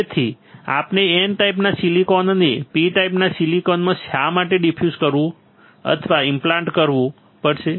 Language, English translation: Gujarati, So, we have to diffuse or implant the N type silicon in to the P type silicon why